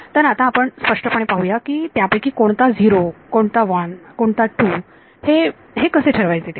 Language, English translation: Marathi, So, let us be very clear what determines which one is 0, which one is 1 which one is 2